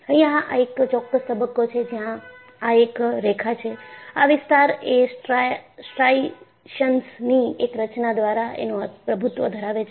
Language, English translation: Gujarati, There is a particular phase, where this is linear; this zone is dominated by the formation of striations